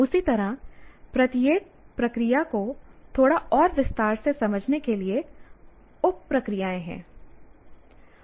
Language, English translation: Hindi, So in the same way there are sub processes to understand each process a little more in detail